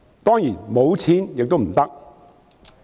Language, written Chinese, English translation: Cantonese, 當然，沒有錢亦不行。, Of course we still need money for everything